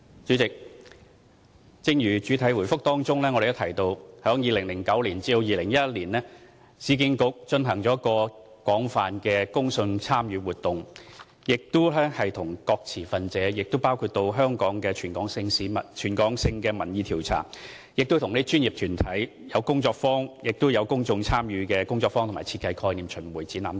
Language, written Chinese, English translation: Cantonese, 主席，正如主體答覆提到 ，2009 年至2011年，市建局進行了廣泛的公眾參與活動，與各持份者溝通，包括進行全港性民意調查，舉辦專業團體工作坊，供公眾參與的工作坊和設計概念巡回展覽等。, President as mentioned in my main reply URA conducted an extensive public engagement exercise between 2009 and 2011 to communicate with different stakeholders . The public engagement exercise included territory - wide opinion polls consultation workshops for professional bodies workshops for public engagement and roving exhibition on the design concept etc